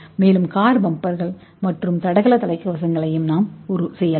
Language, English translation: Tamil, And we can also make a car bumper and athletic helmets